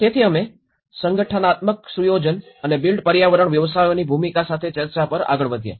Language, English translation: Gujarati, So we moved on discussions with the organizational setup and the role of built environment professions